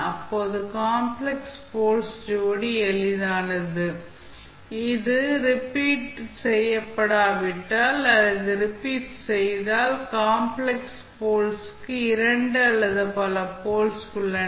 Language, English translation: Tamil, Now, pair of complex poles is simple, if it is not repeated and if it is repeated, then complex poles have double or multiple poles